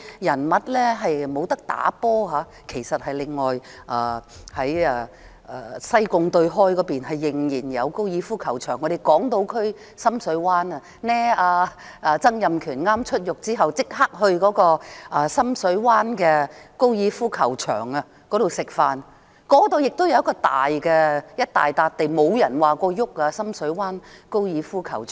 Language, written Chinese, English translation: Cantonese, 事實上，在西貢對開還有一個高爾夫球場，而港島區深水灣也有一個——曾蔭權出獄後立即到深水灣高爾夫球場吃飯——那裏亦有一大幅土地，也沒有人說要碰深水灣高爾夫球場。, In fact there is a golf course opposite to Sai Kung and another in Deep Water Bay on the Hong Kong Island . Donald TSANG went to the golf course in Deep Water Bay to have dinner immediately after he was released from prison . The site of the Deep Water Bay golf course is large but no one has mentioned using it